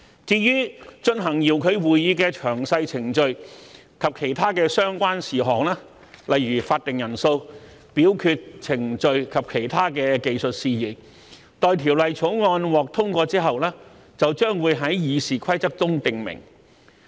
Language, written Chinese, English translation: Cantonese, 至於進行遙距會議的詳細程序及其他相關事項，例如法定人數、表決程序及其他技術事宜，待《條例草案》獲通過之後，將會在《議事規則》中訂明。, Detailed procedures and other relevant matters for the conduct of remote sittings such as quorum voting procedures and other technical matters will be provided for in RoP upon passage of the Bill